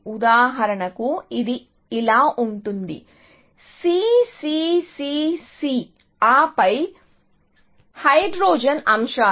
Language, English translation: Telugu, So, for example, it could be like this; C, C, C, C, C; and then, the hydrogen items